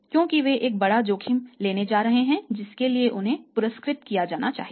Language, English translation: Hindi, Because they are going to take a huge risk for which they should be rewarded